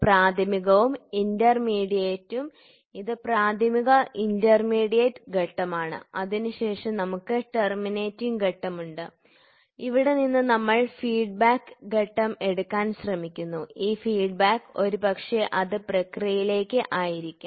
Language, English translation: Malayalam, So, what are we talking about primary then intermediate this is primary intermediate stage, then we have terminating stage terminating stage and from here, we try to take an feedback stage and this feedback, sorry, this feedback this feedback will be maybe it will be to the process